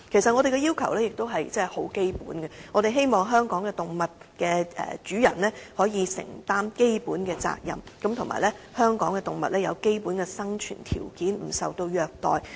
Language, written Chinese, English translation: Cantonese, 我們的要求很基本，便是希望香港動物的主人可以承擔基本責任，以及捍衞香港動物的基本生存條件，不受虐待。, Our request is simple . We hope that pet owners in Hong Kong can discharge their basic responsibilities safeguard the basic living right of animals in Hong Kong and protect them from abuse